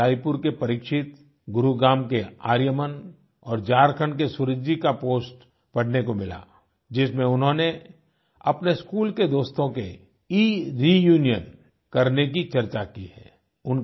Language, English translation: Hindi, I also happened to read the posts of Pareekshit from Raipur, Aaryaman from Gurugram and Suraj from Jharkhand, and they have discussed about having an ereunion with their school friends